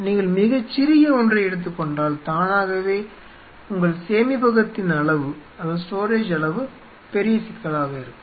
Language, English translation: Tamil, If you take a very small one automatically you have a how much quantity you are you know storage will be big issue